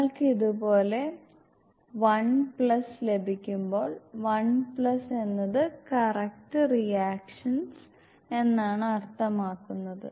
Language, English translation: Malayalam, Whenever you get 1 plus like this is 1 plus it means correct reactions